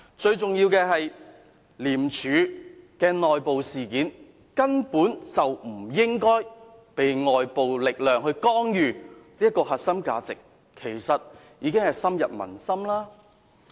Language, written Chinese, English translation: Cantonese, 最重要的是，廉署的內部事件根本不應該被外界力量干預，這核心價值其實已經深入民心。, Most importantly the internal affairs of ICAC should definitely be free from any outside intervention and this is in fact the core value widely upheld by Hong Kong people